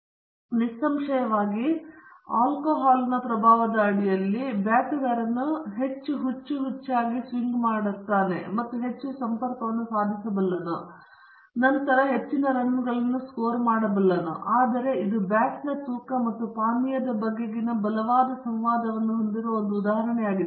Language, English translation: Kannada, So obviously, under the influence of the alcohol, the batsman is able to swing more wildly and connects more often than not and then scores more runs who knows, but this is an example where there is a strong interaction between the type of the drink and the weight of the bat